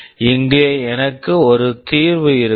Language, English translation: Tamil, Here I have a solution